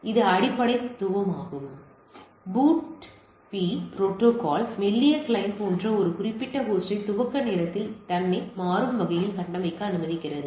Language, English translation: Tamil, So, that is the basic philosophy where the BOOTP protocol allows a particular host like thin client and so, to configure itself dynamically at boot time